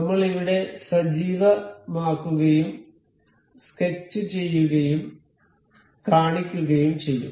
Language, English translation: Malayalam, We will just activate here, sketch, make it show